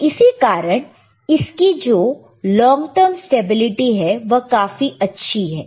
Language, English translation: Hindi, So, that is why, it is long term stability is also kind of excellent,